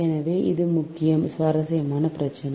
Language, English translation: Tamil, so this a very interesting problem